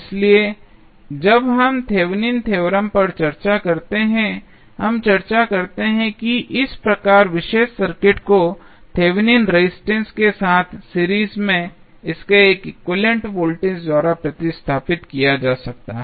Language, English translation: Hindi, So, when we discuss the Thevenin's theorem we discuss that this particular circuit can be replaced by its equivalent voltage in series with Thevenin resistance